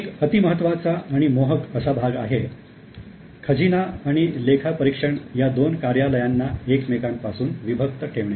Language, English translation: Marathi, Now, one very important and fascinating part was segregation of two offices, treasury and audit